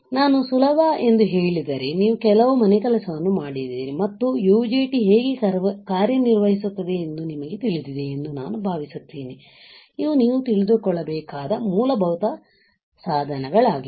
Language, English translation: Kannada, Whenever I say easy; I assume that you guys have done some homework and you know how the UJT operates, these are basic devices you should know